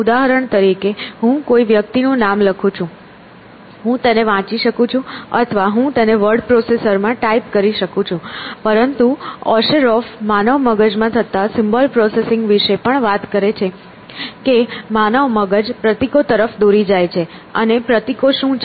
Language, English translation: Gujarati, So, for example, I write the name of a person; I can read it essentially or I can you know type it in a word processor and things like that, but Osheroff also talks about symbol processing in the human brain that the human brain leads symbols and what are the symbols